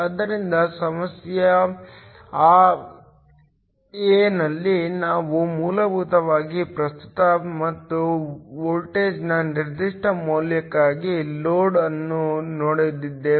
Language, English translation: Kannada, So, in problem a, we essentially looked at the load for a given value of current and voltage